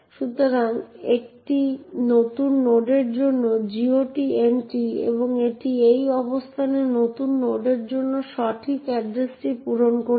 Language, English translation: Bengali, So, this is the GOT entry for new node and it has filled in the correct address for new node in this location